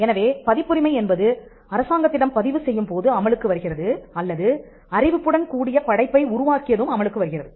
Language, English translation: Tamil, So, copyright comes into effect either upon registration by the government or upon creation, creation with the notice